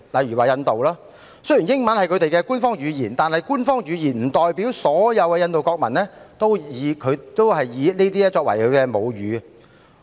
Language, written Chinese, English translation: Cantonese, 以印度為例，雖然英文是其官方語言，但這並不代表所有印度國民皆以英文作為母語。, Take India as an example although English is its official language it does not mean that the mother tongues of all the nationals of India are English